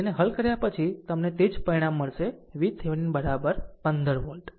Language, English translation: Gujarati, After solving this, you will get same result, V Thevenin is equal to 15 volt right